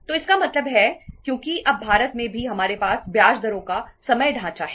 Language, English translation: Hindi, So it means because in India now also we have the time term structure of interest rates